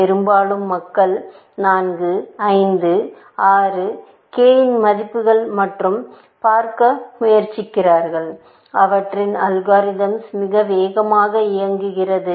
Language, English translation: Tamil, Very often, people tried 4, 5, 6, values of k and seeing, that their algorithm runs much faster